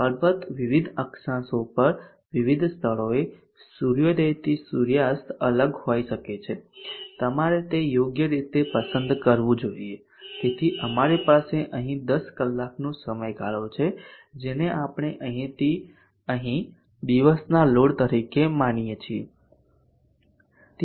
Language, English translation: Gujarati, of course at different latitudes different places sunrise to sunset can be different, you should appropriately choose that, so we have here a 10 hour period which we consider as day load from here to here